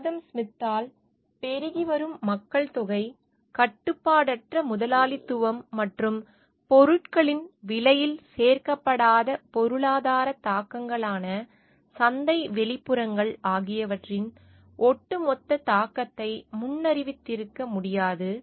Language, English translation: Tamil, Adam Smith could not have foreseen the cumulative impact of expanding populations, unregulated capitalism, and market externalities that is economic impacts not included in the cost of products